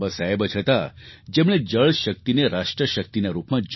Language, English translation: Gujarati, Baba Saheb who envisaged water power as 'nation power'